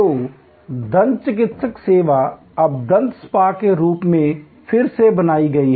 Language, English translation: Hindi, So, a dentist service is now recreated by the way as a dental spa